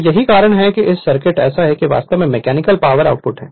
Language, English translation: Hindi, So, that is why that is why this circuit this circuit is like this is actually mechanical output right